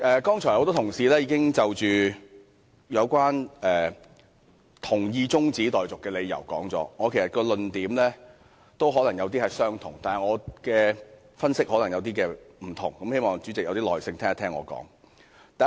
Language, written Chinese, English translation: Cantonese, 剛才很多同事已就支持中止待續議案的理由發言，其實我的論點也可能相同，但我的分析卻可能不同，希望主席有點耐性，聆聽我的發言。, Just now many Members have already spoken on their reasons for supporting this adjournment motion . My reasons may be similar but my analysis is different . I hope the President can bear with me and listen to what I have to say